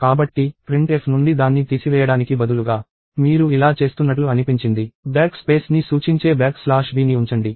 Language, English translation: Telugu, So, instead of removing it from the printf, you seem to be doing this – put a back slash b, which stands for back space